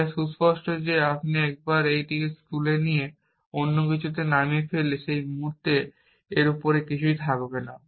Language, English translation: Bengali, It is obvious that once you pick it up and put it down on something else, there will be nothing top of that at that instant